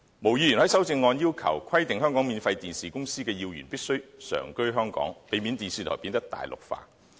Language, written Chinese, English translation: Cantonese, 毛議員在修正案要求規定香港免費電視公司的要員必須常居香港，避免電視台變得"大陸化"。, Ms MO proposed in her amendment that important personnel in free television broadcasting companies in Hong Kong must ordinarily reside in Hong Kong so as to avoid Mainlandization of television stations